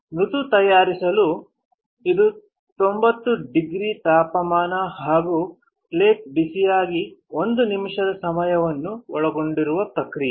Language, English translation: Kannada, Soft bake, is a process involving temperature of ninety degrees and time of one minute on a hot plate